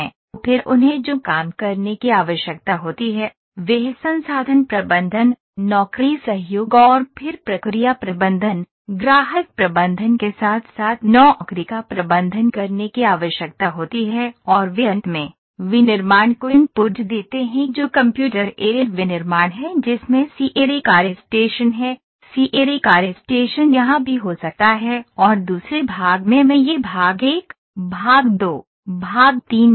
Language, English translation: Hindi, Then what they need to do they need to manage the job as well that is manufacturing resource management, job collaboration then process management, client management and they finally, give the input to the manufacturing that is Computer Aided Manufacturing in which the CAD work station is there, CAD work station can be here as well in the second part I will put this part one, part two, part three